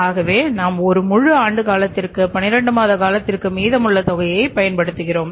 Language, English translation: Tamil, So, that amount you are using for the period of one full year that is the 12 months period